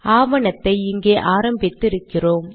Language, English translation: Tamil, We have begun the document here